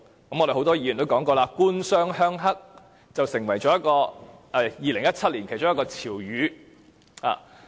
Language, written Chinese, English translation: Cantonese, 我們很多議員也說過，"官商鄉黑"成為2017年其中一個潮語。, Many Members have also said that the term government - business - rural - triad had become one of the trendy terms in 2017